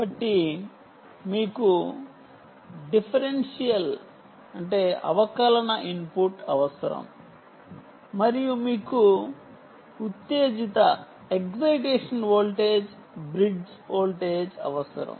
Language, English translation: Telugu, you need differential input and you need ah excitation voltage, bridge excitation voltage